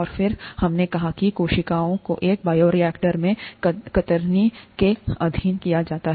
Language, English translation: Hindi, And then, we said that cells are subjected to shear in a bioreactor